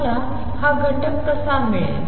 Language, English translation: Marathi, How would I get this factor